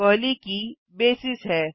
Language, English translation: Hindi, The first key is Basis